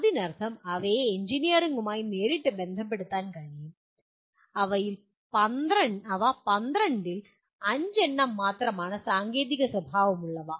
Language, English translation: Malayalam, That means they can be related directly to engineering and they are technical in nature, only 5 out of the 12